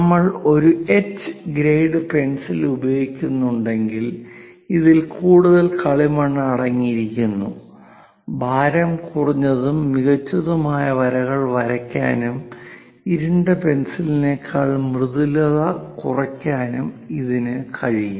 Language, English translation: Malayalam, Whereas a H grade pencil, if we are using it, this contains more clay, lighter and finer lines can be drawn and less smudgy than dark pencil